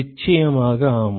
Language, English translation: Tamil, Of course yes